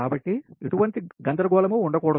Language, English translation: Telugu, so there should not be any confusion, right